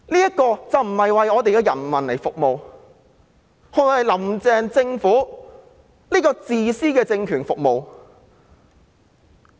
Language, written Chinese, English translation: Cantonese, 這並不是為我們的人民服務，而是為"林鄭"政府這個自私的政權服務。, They are not serving our people; they are serving the Carrie LAM Government which is a selfish political regime